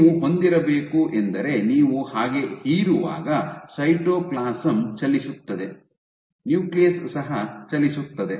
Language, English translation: Kannada, So, what you should have is when you suck just like the cytoplasm will move in, the nucleus will also move in